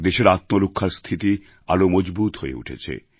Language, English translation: Bengali, The country's self defence mechanism got further reinforced